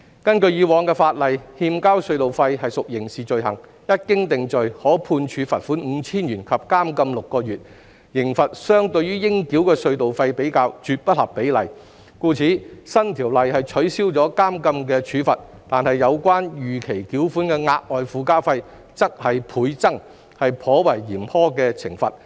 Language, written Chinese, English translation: Cantonese, 根據以往的法例，欠交隧道費屬刑事罪行，一經定罪，可判處罰款 5,000 元及監禁6個月，刑罰相對於應繳的隧道費，絕不合比例，故此新條例取消了監禁的處罰，但有關逾期繳款的額外附加費則是倍增，是頗為嚴苛的懲罰。, Pursuant to the previous legislation toll evasion is a criminal offence punishable by a fine of 5,000 and imprisonment for six months . The penalty is absolutely disproportionate to the amount of toll payable so the new legislation has removed the penalty of imprisonment while the additional surcharges levied on late payment have been doubled making it quite a harsh penalty